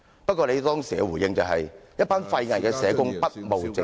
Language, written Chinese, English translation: Cantonese, 不過，你當時的回應是，"一班廢偽的社工，不務正業"......, Yet you responded that they were some useless and fake social workers who did not carry out their duties properly